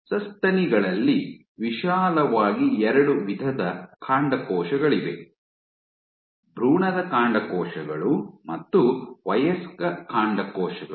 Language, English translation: Kannada, In case of Mammals you broadly have 2 types of STEM cells: Embryonic STEM cells and Adult STEM cells